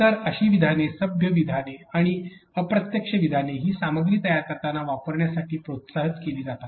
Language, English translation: Marathi, So, such statements polite statements and indirect statements are the ones that are encouraged to use when you are creating these contents